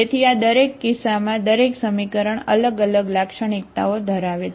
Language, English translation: Gujarati, So in each of these cases, each equation is having different characteristics